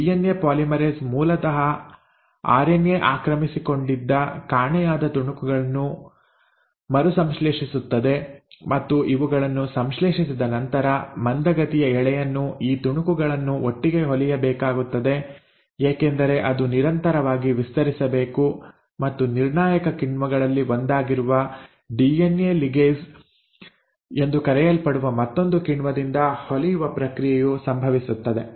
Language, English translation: Kannada, This DNA polymerase will re synthesise the missing pieces which were originally occupied by the RNA and then for the lagging strand once these have been synthesised, these pieces have to be stitched together, because it has to be a continuous stretch and that stitching happens by the one of the another crucial enzymes called as DNA ligase